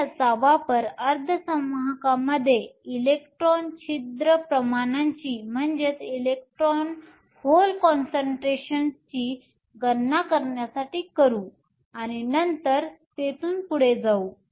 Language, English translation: Marathi, We will use these to calculate the electron hole concentrations in semiconductors and then proceed from there